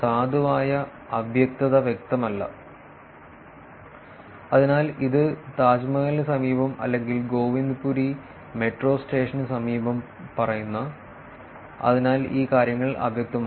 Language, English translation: Malayalam, Valid ambiguity it is not clear, so it says near Taj Mahal or near Govindpuri metro station, so these things are ambiguous